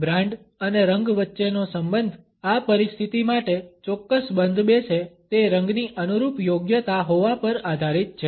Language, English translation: Gujarati, The relationship between brand and color hinges on the perceived appropriateness of the color being an exact fit for this situation